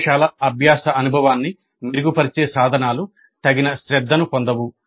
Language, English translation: Telugu, So the tools which would make the laboratory learning experience better would not receive adequate attention